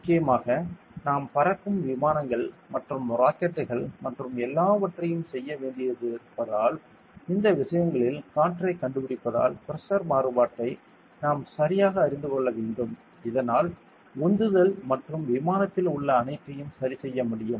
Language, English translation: Tamil, For mainly, because we need to do fly aircraft and rockets and everything since over these things finds the air, we need to exactly know the pressure variation so that we could adjust the thrust and everything in the aircraft